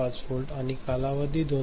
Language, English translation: Marathi, 5 volt and the span is 2